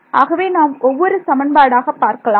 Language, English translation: Tamil, So, let us deal with the equations 1 by 1